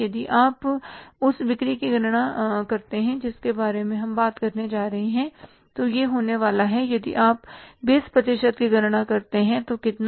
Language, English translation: Hindi, If you calculate that amount of the sales we are going to talk about so it is going to be if you calculate 20% of how much